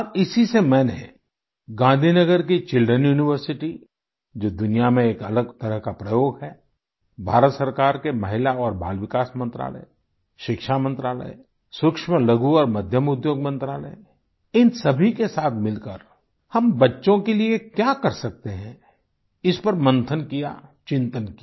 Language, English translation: Hindi, And this is why, I, together with the Children University of Gandhinagar, a unique experiment in the world, Indian government's Ministry of Women and Child Development, Ministry of Education, Ministry of MicroSmall and Medium Enterprises, pondered and deliberated over, what we can do for our children